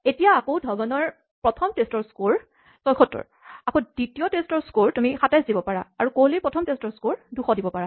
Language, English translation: Assamese, Now we can go back and set Dhawan's score in the first test to 76 and may be you can set the second test to 27 and maybe we can set KohliÕs score in the first test to 200